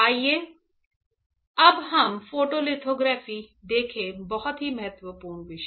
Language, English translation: Hindi, Now, let us see photolithography; very very important topic